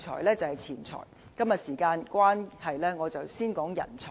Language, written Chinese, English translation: Cantonese, 今天由於時間關係，我先談人才。, Due to time constrain I will focus on human resources today